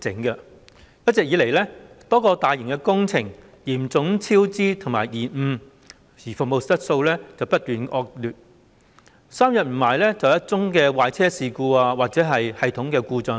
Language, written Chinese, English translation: Cantonese, 一直以來，多個大型工程嚴重超支和延誤，服務質素不斷惡化，三數天便有一宗壞車事故或系統故障。, The recent past has seen serious cost overruns and delays in a number of mega projects and constant deterioration of service quality as evidenced by the occurrences of train breakdown or system failure just days apart